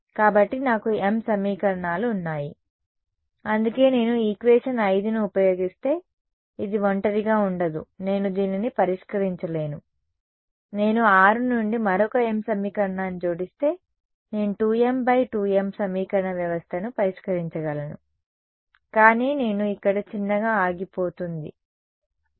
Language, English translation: Telugu, So, I have m equations which is why this is not alone if I use equation 5 alone I cannot solve this, if I add a another m equation from 6 then I can solve a 2 m cross 2 m system of equation, but I am going to stop short over here ok